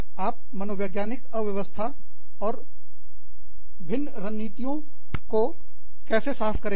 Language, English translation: Hindi, How do you clear up, psychological clutter and various strategies